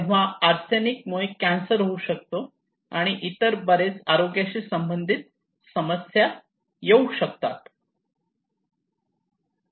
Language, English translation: Marathi, So arsenic can cause cancer and many other health problems